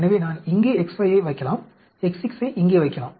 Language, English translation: Tamil, So, I can put X5 here, I can put X 6 here